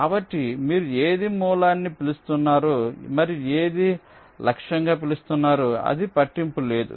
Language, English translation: Telugu, ok, so it does not matter which one you are calling a source and which one you calling as target